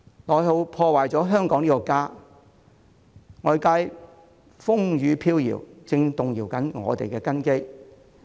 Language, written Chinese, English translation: Cantonese, 內耗破壞了香港這個家，外界風雨飄搖，正在動搖我們的根基。, Internal depletion has ruined our home Hong Kong . The wind and rain out there have been shaking our foundation